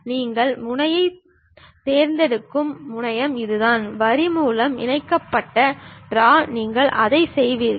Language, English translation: Tamil, This is the terminal where you pick the point, draw connected by line draw anything you will do it